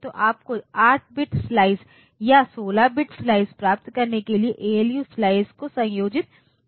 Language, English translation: Hindi, So, you have to clap this ALUs, ALU slices to get the 8 bit slice or 16 bit slice that way